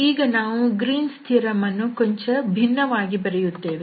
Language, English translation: Kannada, So, having this what we observe now, we will rewrite this Greens theorem in a slightly different way